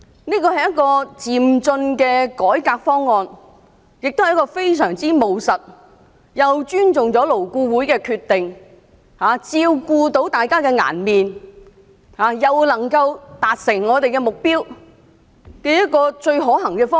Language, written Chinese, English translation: Cantonese, 這是一個漸進的改革方案，亦非常務實，是既尊重勞工顧問委員會的決定，照顧大家的顏面，又能夠達成我們目標的一個最可行的方案。, This is a proposal for progressive reform and it is very pragmatic . On the one hand it shows our respect for the decision made by the Labour Advisory Board LAB and saves everyones face; and on the other hand it provides us with the most feasible way to attain our goal